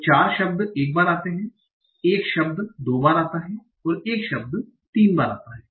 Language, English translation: Hindi, So 4 words occur once, 1 word occurs twice, 1 word occurs thrice